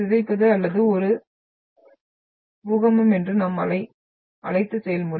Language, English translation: Tamil, The deformation or this is a the what we the process we termed as an earthquake is